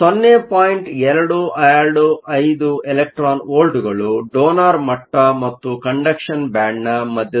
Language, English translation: Kannada, 225 electron volts right in the middle of the donor level and the conduction band